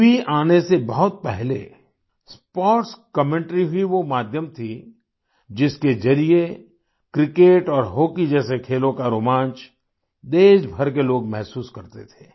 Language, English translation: Hindi, Long before the advent of TV, sports commentary was the medium through which people of the country felt the thrill of sports like cricket and hockey